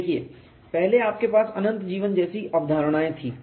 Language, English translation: Hindi, See, earlier you had concepts like infinite life